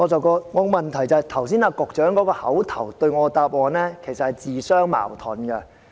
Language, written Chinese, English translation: Cantonese, 局長剛才對我作出的口頭答覆，其實是自相矛盾的。, In fact the Secretarys oral reply to my supplementary question was self - contradictory